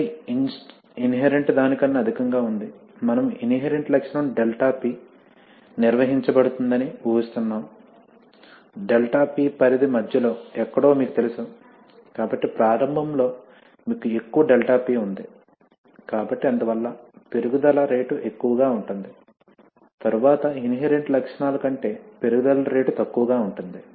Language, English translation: Telugu, Again there is a high, higher than inherent, we are assuming the inherent characteristic 𝛿P will be will be maintained, you know somewhere in the middle of the 𝛿P range, so initially you have high, you have a higher 𝛿P, so therefore the rate of rise is high, later on the rate of rise lower than the inherent characteristics this is what happens